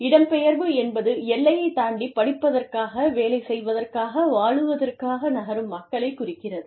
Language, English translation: Tamil, Migration refers to, move people, moving across the border, to stay, to live, to work, to study, etcetera